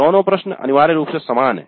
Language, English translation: Hindi, Both are same essentially both questions